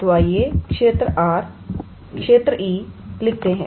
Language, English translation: Hindi, So, let us write the region E